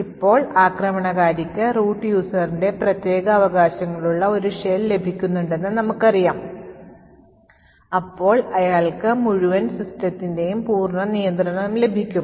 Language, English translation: Malayalam, Now, as we know if the attacker obtains a shell with root privileges then he gets complete control of the entire system